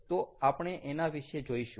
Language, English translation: Gujarati, so we will look at that